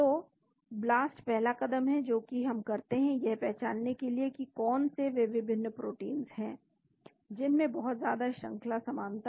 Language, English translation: Hindi, So, the blast is the first step which we run to identify what are the various proteins which have very high sequence identity